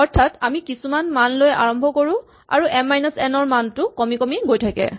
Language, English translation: Assamese, So, we start with some value and m minus n keeps decreasing